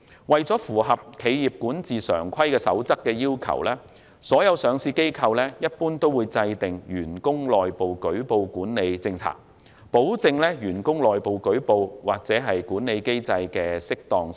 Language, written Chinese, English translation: Cantonese, 為符合《企業管治常規守則》的要求，所有上市機構一般也會制訂"員工內部舉報管理政策"，保證員工內部舉報或管理機制的適當性。, To meet the requirements laid down in the Code on Corporate Governance Practices all listed companies will formulate Policy on Staff Reporting of Irregularities to assure their staff of the appropriateness of internal reporting and that of the management mechanism